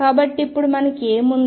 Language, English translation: Telugu, So, what we have now